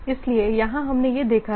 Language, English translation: Hindi, So, here what is being shown